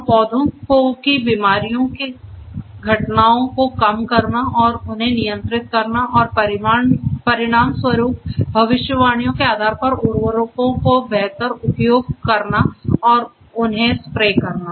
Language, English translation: Hindi, And at the same time decrease the incidences of the plant diseases and control them and consequently based on the predictions optimally use the fertilizers and spray them